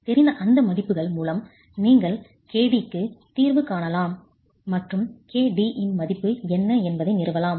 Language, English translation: Tamil, With those values known you can solve for KD and establish what the value of KD itself is